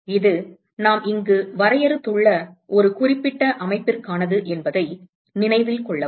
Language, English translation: Tamil, Note that this is for a very specific system that we have defined here